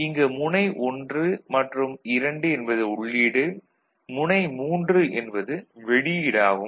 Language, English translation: Tamil, So, 1, 2 is the input and 3 is the output